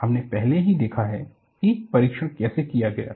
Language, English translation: Hindi, We have already seen how the test was performed